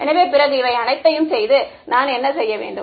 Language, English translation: Tamil, So, after having done all of this, what do I do